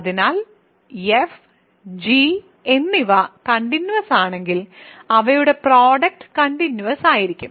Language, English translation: Malayalam, So, if f and g are continuous their product is continuous